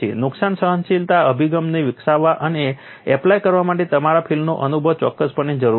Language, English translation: Gujarati, Your field experience it is definitely needed for developing and implementing damage tolerance approach